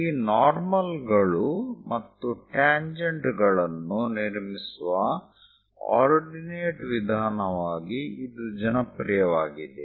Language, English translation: Kannada, And this is popular as ordinate method for constructing these normal's and tangents